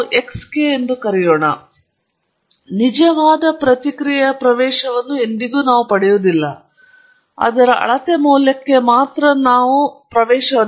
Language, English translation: Kannada, Now, as we have always said, we never get access to the true response, we only have access to the measured value of it